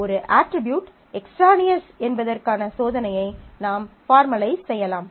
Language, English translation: Tamil, We can formalize a test for whether an attribute is extraneous